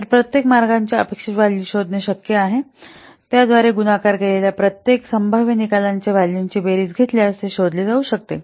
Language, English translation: Marathi, So the expected value of each path can be finding out, can be found out by taking the sum of the values of each possible outcomes multiplied by its probability